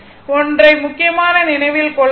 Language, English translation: Tamil, One thing is important to remember